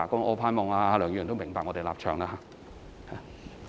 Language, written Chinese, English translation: Cantonese, 我希望梁議員明白我們的立場。, I hope Mr LEUNG would understand our stance